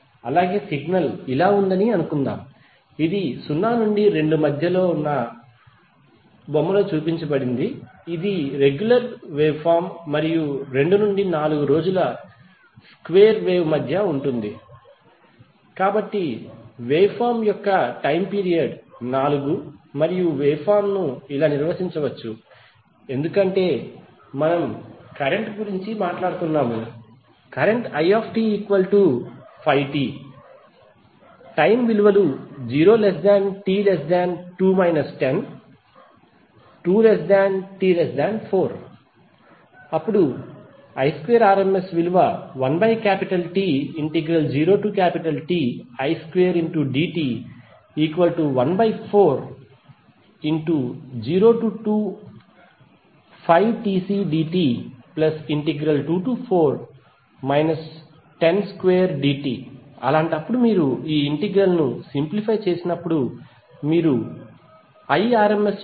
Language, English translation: Telugu, Let’s take another example suppose the signal is like this which is shown in the figure between 0 to 2 it is regular wave and between 2 to 4 days square wave, so the period of the wave form is 4 and waveform can be defined as because we are talking about the current i, so it can be defined as 5t between 0 to 2 and minus 10 between 2 to 4, so how we can target rms value